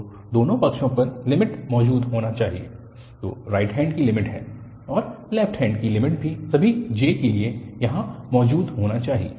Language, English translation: Hindi, So, on both the sides, the limit should exist, so the right hand limit and also the left hand limit should exist for all j there